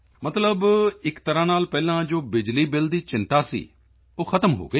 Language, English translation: Punjabi, That is, in a way, the earlier concern of electricity bill is over